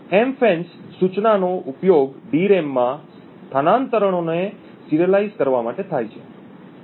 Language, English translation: Gujarati, The MFENCE instruction is used to serialize the transfers to the DRAM